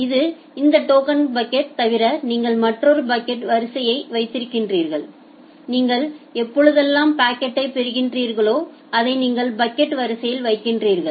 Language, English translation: Tamil, Now apart from this token bucket you have another packet queue in the packet queue whenever whatever packet you are receiving you are putting that packet in the packet queue